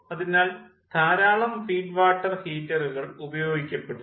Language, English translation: Malayalam, so those many feed water heaters are used